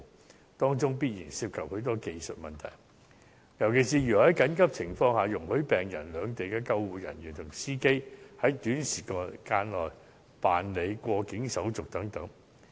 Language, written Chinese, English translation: Cantonese, 這當中必然涉及許多技術問題，尤其是如何是在緊急情況下容許病人、兩地的救護人員及司機，在短時間內辦理過境手續等。, A number of other technical issues will also arise during the process especially in cases where speedy immigration clearance for the patient ambulance personnel from both places and the driver are needed under emergency circumstances